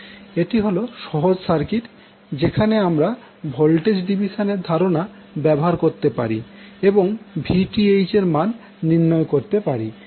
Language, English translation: Bengali, This is simple circuit, where you can utilize the voltage division concept and find out the value of Vth